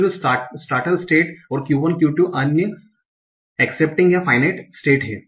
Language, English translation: Hindi, Q0 is the start state and Q1 and Q2 are the accepting of final states